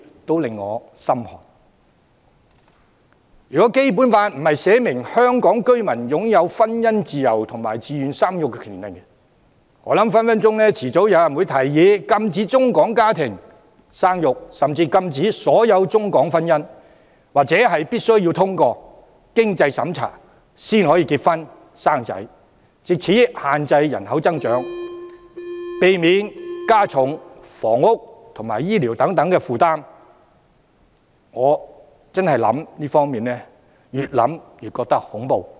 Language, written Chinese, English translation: Cantonese, 若非《基本法》訂明香港居民享有婚姻自由和自願生育的權利，我相信早晚有人會提議禁止中港家庭生育，甚至禁止所有中港婚姻，或必須通過經濟審查方能結婚生子，藉此限制人口增長，避免加重房屋及醫療等負擔，讓人越想便越覺得恐怖。, If not for the Basic Laws stipulation on freedom of marriage and the right to raising family I believe sooner or later there will be people who suggest prohibiting China - Hong Kong families to bear children prohibiting all China - Hong Kong marriages or even requiring people to pass the means test before getting married and giving birth to babies so as to control population growth to avoid adding pressure to housing and health care . The more one thinks of this scenario the scarier it becomes